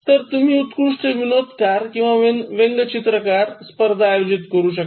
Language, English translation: Marathi, So, you can conduct this best humourist or the best cartoonist competition